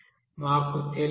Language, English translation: Telugu, That we do not know